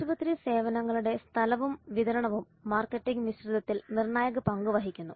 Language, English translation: Malayalam, Place the distribution of hospital services play crucial role in the marketing mix